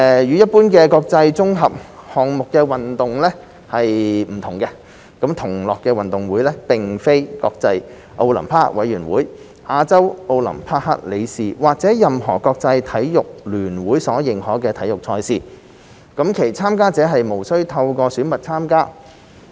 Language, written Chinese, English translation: Cantonese, 與一般的國際綜合項目運動會不同，"同樂運動會"並非國際奧林匹克委員會、亞洲奧林匹克理事會或任何國際體育聯會所認可的體育賽事；其參加者無須透過選拔參加。, Unlike international multi - sports games in general the GG2022 is not a sports event recognized by the International Olympic Committee the Olympic Council of Asia or any international sports federation . There is no need for participants to go through any selection process